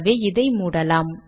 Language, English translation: Tamil, So we can close this